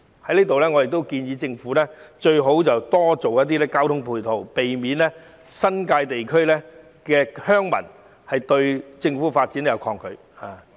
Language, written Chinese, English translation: Cantonese, 我亦在此建議政府提供更多交通配套，以免新界地區鄉民抗拒政府的發展。, I also suggest that the Government should provide more transport ancillary facilities so as to avoid resistance from villagers in the New Territories to the developments undertaken by the Government